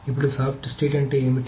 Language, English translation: Telugu, Now, what is soft state